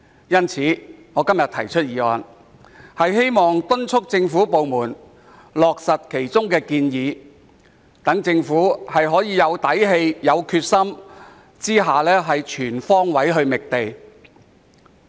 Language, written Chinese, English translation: Cantonese, 因此，我今天提出的議案，旨在敦促政府部門落實建議，讓政府能在有底氣、有決心下全方位覓地。, Therefore my motion today seeks to urge government departments to implement the proposals so that the Government can identify land on all fronts with confidence and determination . President FTUs position is very clear ie